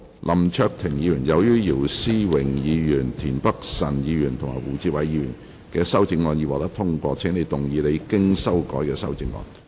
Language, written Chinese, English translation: Cantonese, 林卓廷議員，由於姚思榮議員、田北辰議員及胡志偉議員的修正案已獲得通過，請動議你經修改的修正案。, Mr LAM Cheuk - ting as the amendments of Mr YIU Si - wing Mr Michael TIEN and Mr WU Chi - wai have been passed you may move your revised amendment